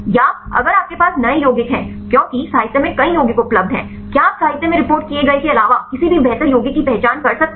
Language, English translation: Hindi, Or if you have the new compounds because many compounds available in the literature; can you identify any better compound other than the one which reported in the literature